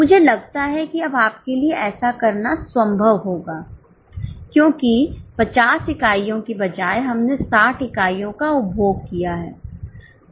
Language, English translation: Hindi, I think it will be possible now for you to do it because instead of 50 units, we have consumed 60 units